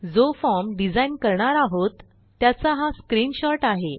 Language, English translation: Marathi, And, here is a sample screenshot of the form we will design